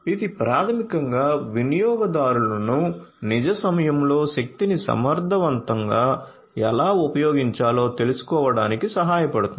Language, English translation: Telugu, So, this basically will help the users to learn how to use the energy in real time in an efficient manner